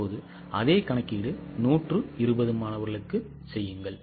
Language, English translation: Tamil, Now same calculation please make it for 120 students